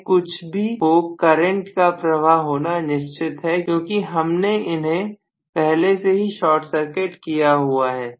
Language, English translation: Hindi, So the current is going to flow no matter what because I have short circuited them already